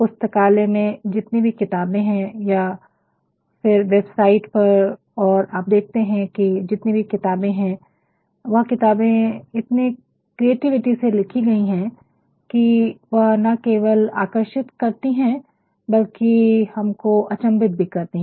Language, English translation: Hindi, Now, all the books that are there in your libraryor on the web, you will find there are many books and they have been written so, creatively that actually they not only entice, but actually they make us wonder at times also